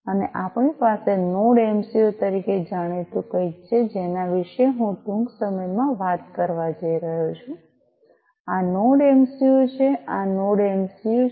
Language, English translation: Gujarati, And we have something known as the Node MCU which I am going to talk about shortly this is this Node MCU, this is this Node MCU